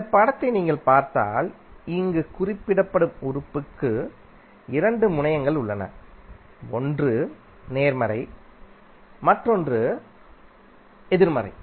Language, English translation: Tamil, So, that is simply if you see this figure the element is represented here and now you have two terminals; one is positive another is negative